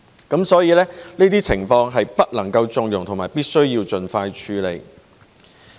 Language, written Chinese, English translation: Cantonese, 因此，這些情況是不能縱容和必須盡快處理。, Hence these situations should not be condoned and must be expeditiously dealt with